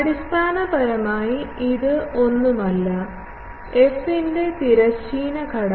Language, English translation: Malayalam, Basically, this is nothing, but the transverse component of the f